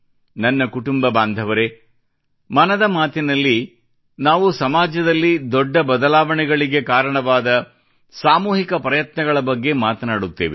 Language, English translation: Kannada, My family members, in 'Mann Ki Baat' we have been discussing such collective efforts which have brought about major changes in the society